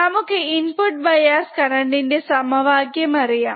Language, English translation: Malayalam, This is how we can measure the input bias current